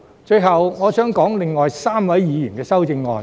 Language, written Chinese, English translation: Cantonese, 最後，我想談談另外3位議員的修正案。, Lastly I would like to talk about the amendments proposed by the other three Members